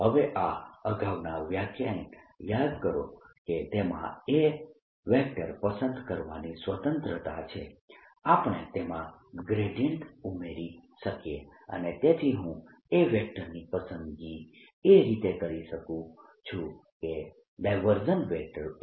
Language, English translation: Gujarati, now recall from my earlier lectures that there is a freedom in choosing a, in that we can add a gradient to it and therefore i can choose in such a way that divergence of a is zero